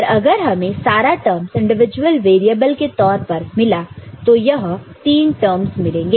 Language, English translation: Hindi, But if you get all the terms in terms of individual variables, these are the three terms that we will get